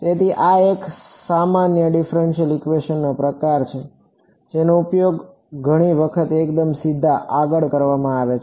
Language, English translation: Gujarati, So, this is the sort of a general differential equation which is used many times fairly straight forward